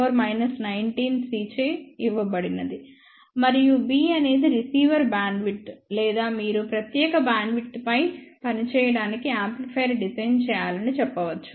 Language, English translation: Telugu, 6 into 10 to the power minus 19 Coulomb, and B is the bandwidth over which a receiver is going to operate or you can say you have to design amplifier to operate over that particular bandwidth